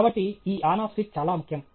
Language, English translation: Telugu, So, this On Off switch is very important